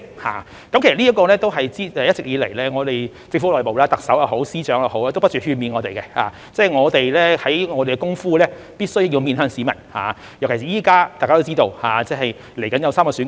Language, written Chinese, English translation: Cantonese, 其實在這方面，一直以來我們政府內部，特首也好，司長也好，都不斷勸勉我們，我們做的工夫必須面向市民，尤其是現在，大家都知道，稍後將有3項選舉。, As a matter of fact in this regard all along the Chief Executive and the Secretaries of Departments have been urging us within the Government that our work must be oriented towards the public especially now because as we all know three elections are going to be held